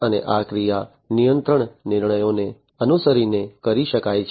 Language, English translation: Gujarati, And this actuation can be done following control decisions